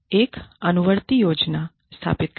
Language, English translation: Hindi, Establish a follow up plan